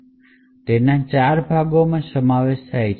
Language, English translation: Gujarati, So, it comprises of four parts